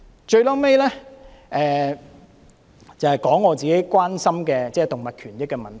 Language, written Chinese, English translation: Cantonese, 最後，我想提出自己關心的動物權益的問題。, To end with I wish to discuss the issue about animal rights which I am personally concerned about